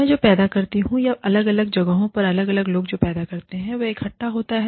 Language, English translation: Hindi, What I produce, what different people produce, in different places, gets collected